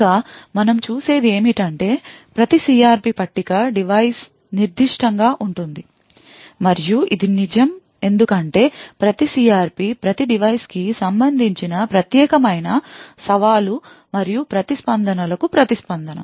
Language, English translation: Telugu, Further, what we also see is that each CRP table is device specific and this is true because each CRP response to the unique challenge and responses corresponding to each device